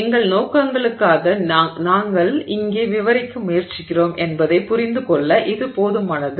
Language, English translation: Tamil, For our purposes this is enough to understand what we are trying to describe here